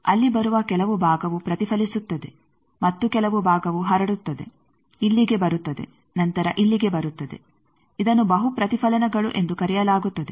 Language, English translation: Kannada, Some portion deflected and some portion transmitted coming here then coming here, this is called multiple reflections